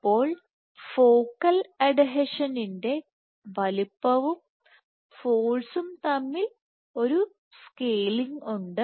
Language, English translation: Malayalam, So, there is a scaling between focal adhesion size force exerted